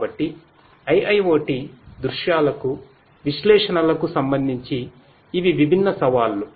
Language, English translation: Telugu, So, these are the different challenges with respect to analytics for IIoT scenarios